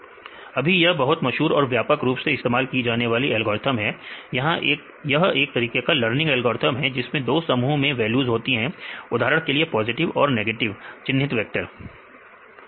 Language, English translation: Hindi, So, it also a very popular algorithms widely used algorithm; so it is a kind of learning algorithm, which has two set of values for example, positive negative labeled vectors